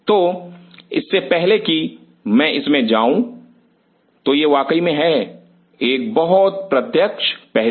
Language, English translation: Hindi, So, before I get into that, so this is of course, a very direct aspect